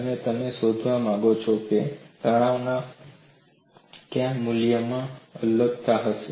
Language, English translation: Gujarati, And you want to find out, at what value of this stress would there be separation